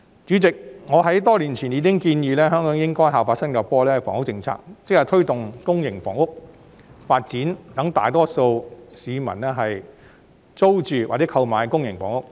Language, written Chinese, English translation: Cantonese, 主席，我已在多年前建議，香港應效法新加坡的房屋政策，即推動公營房屋發展，讓大多數市民租住或購買公營房屋。, President I suggested many years ago that Hong Kong should follow Singapores housing policy ie . promoting the development of public housing so that the majority of citizens can rent or purchase public housing